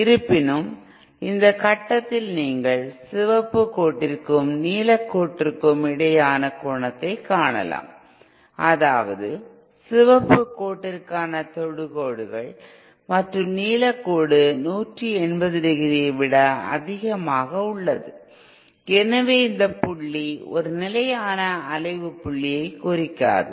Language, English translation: Tamil, However, at this point as you can see the angle between the red line and the blue line, that is the tangents to the red line and the blue line is greater than 180¡, therefore this point does not represents a stable point of oscillation